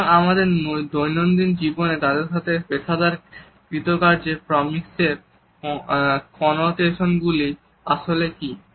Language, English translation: Bengali, So, what exactly are the Connotations of proxemics in our day to day life, as well as in our day to day professional performance